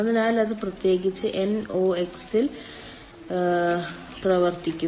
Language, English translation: Malayalam, so that will ah operate on nox particularly